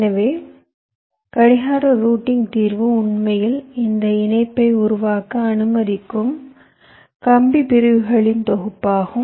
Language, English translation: Tamil, ok, so the clock routing solution is actually the set of wire segments that will allow us to make this connection